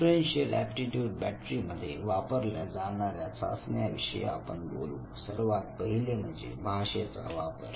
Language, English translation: Marathi, So I will now show you different tests that are used in differential aptitude battery now first one as you can say is the language usage